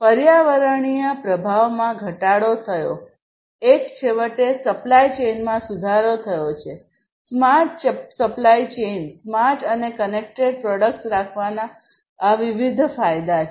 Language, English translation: Gujarati, Decreased environmental impact is the other one and finally, improved supply chain; smart supply chain, these are the different benefits of having smart and connected products